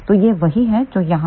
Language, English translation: Hindi, So, that is what over here